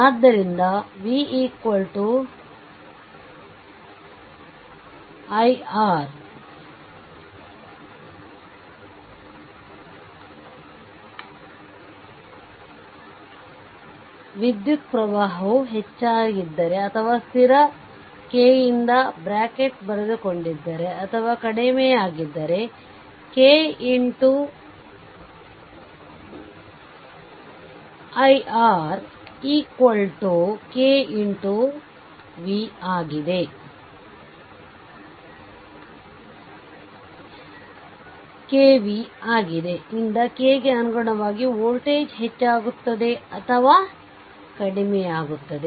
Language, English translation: Kannada, So, v is equal to i R, if the current is increased or if bracket I have written down or decrease by constant k, then voltage increases or decreases correspondingly by k that is ki into R is equal to kv